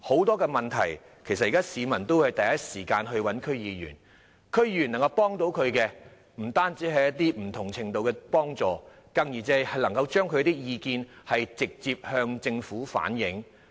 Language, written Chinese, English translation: Cantonese, 當發生問題時，很多市民都會第一時間找區議員，區議員不但能向他們提供不同程度的幫助，更可以將他們的意見直接向政府反映。, When problems arise many people will approach DC members in the first instance . DC members can not only offer them assistance of varying degrees but also directly relay their views to the Government